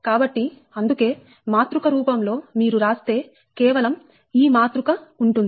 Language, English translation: Telugu, so thats why, in matrix form, if you write only this matrix will be there